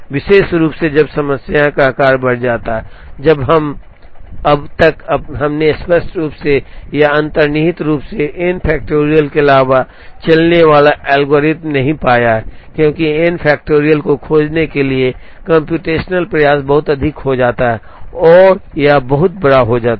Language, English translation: Hindi, Particularly, when the problem size increases, when we, so far we have not found an algorithm that runs in other than n factorial explicitly or implicitly, because the computational effort to find out n factorial becomes exponential and very large as n increases